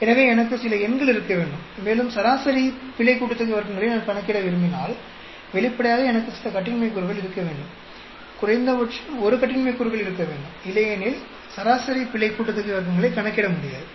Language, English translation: Tamil, So, I should have some number and if I want to calculate mean sum of squares for error, obviously I should have some degrees of freedom, at least one degree of freedom; otherwise it is not possible to calculate mean sum of squares for error